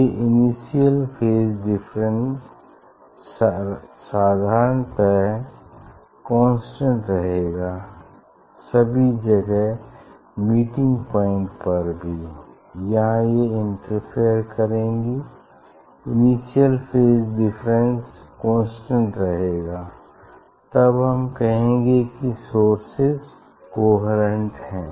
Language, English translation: Hindi, this initial phase difference has to be constant in general wherever also at the meeting point where they will interfere at that point also total phase difference including the initial phase difference has to be constant with time